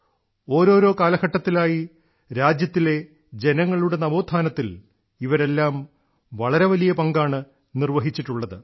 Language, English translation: Malayalam, In different periods, all of them played a major role in fostering public awakening in the country